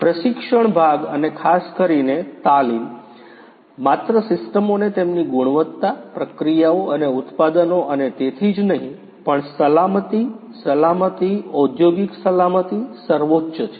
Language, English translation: Gujarati, The training part and particularly the training with respect to not only the systems the quality of them, the processes and the products and so on, but also the safety, safety, industrial safety is paramount